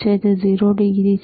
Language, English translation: Gujarati, iIs thisit 0 degree